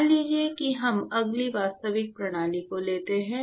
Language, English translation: Hindi, So, supposing we next take the actual system, right